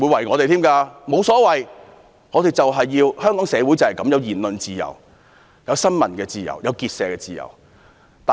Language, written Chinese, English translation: Cantonese, 我沒所謂，反正香港社會就是需要言論自由、新聞自由、結社自由。, I am fine with that because we need to have freedom of speech of the press and of association in Hong Kong